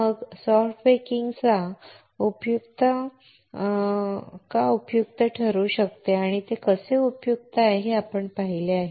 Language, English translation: Marathi, Then we have seen why soft baking can be helpful and how it is helpful